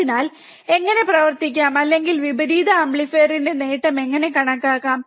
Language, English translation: Malayalam, So, how to perform or how to calculate the gain of an inverting amplifier